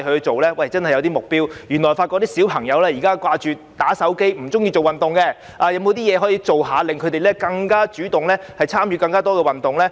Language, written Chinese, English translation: Cantonese, 政府應訂立一些目標，在發現小朋友只記掛"打手機"，不愛做運動後，政府可做甚麼，令他們更主動地參與更多運動呢？, The Government should set some goals . When it finds that children are glued to mobile phones and do not like doing exercise what can the Government do to make them take more initiative in doing more exercise?